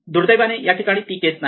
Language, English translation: Marathi, Here, unfortunately it is not the case right